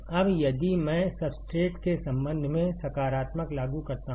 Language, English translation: Hindi, Now, if I apply positive with respect to the substrate